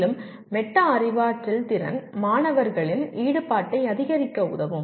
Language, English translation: Tamil, And the metacognitive skill will help in increasing the student engagement